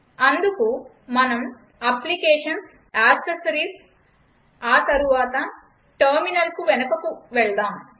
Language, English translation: Telugu, So lets move back to Applications gtAccessories and then terminal